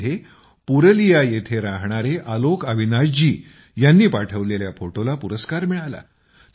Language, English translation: Marathi, In this, the picture by AlokAvinash ji, resident of Purulia, won an award